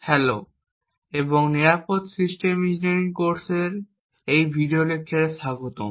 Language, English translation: Bengali, Hello and welcome to this video lecture in the course for secure systems engineering